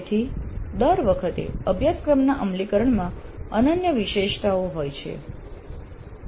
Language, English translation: Gujarati, So the implementation of the course every time is unique features